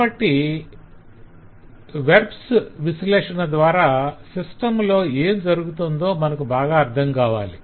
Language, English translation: Telugu, so the analysis of verbs should give us a quite a bit of good hold over what can happen in the system